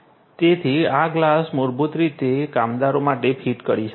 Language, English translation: Gujarati, So, this glass could be basically fitted to the different workers